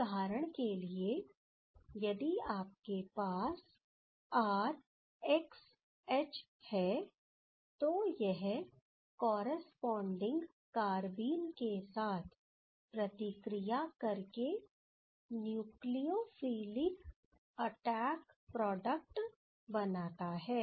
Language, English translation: Hindi, As for example, if you have R XH, that can react with the corresponding carbene to give the nucleophilic attack product ok